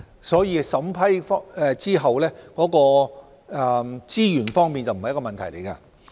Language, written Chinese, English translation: Cantonese, 所以在審批後，資源方面不是問題。, Hence resources will not be a problem after the project has been approved